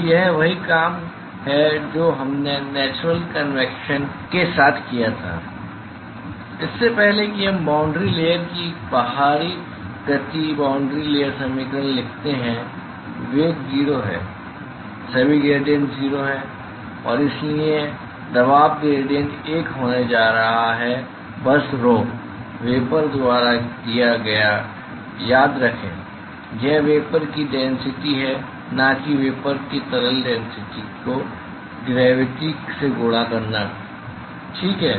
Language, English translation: Hindi, So, this is the same thing what we did with the natural convection before we just write the momentum boundary layer equations in the outside the boundary layer velocity is 0, all the gradients are 0, and therefore, the pressure gradients is going to be a simply given by rho vapor remember it is the density of vapor not the liquid density of vapor multiplied by gravity ok